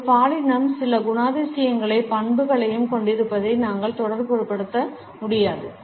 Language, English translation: Tamil, We cannot also associate a gender is having certain characteristics and traits